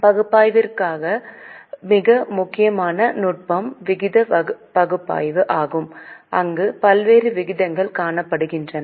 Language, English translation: Tamil, The most important technique for analysis is ratio analysis where variety of ratios are calculated